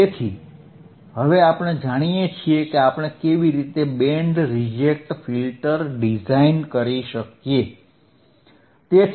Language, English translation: Gujarati, So, now we know how we can design a band reject filter right easy